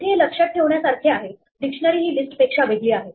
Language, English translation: Marathi, Here is a way of remembering that a dictionary is different from the list